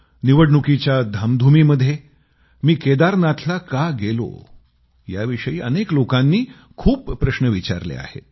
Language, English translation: Marathi, Amidst hectic Election engagements, many people asked me a flurry of questions on why I had gone up to Kedarnath